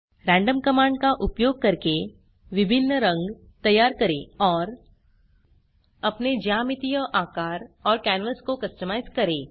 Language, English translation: Hindi, Using the random command create various colors and Customize your geometric shapes and canvas